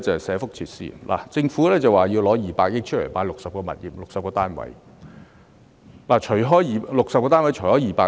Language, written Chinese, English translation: Cantonese, 社福設施方面，政府表示會撥款200億元購置60個物業，即每個物業平均3億多元。, In respect of welfare facilities the Government has indicated that it will allocate 20 billion for purchasing 60 properties or an average of some 300 million for each property